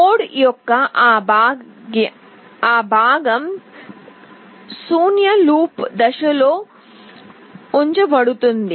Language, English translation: Telugu, That part of the code will be put in this void loop phase